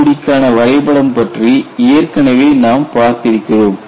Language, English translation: Tamil, We had already seen what the diagram is for CTOD